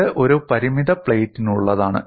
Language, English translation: Malayalam, And this is for a finite plate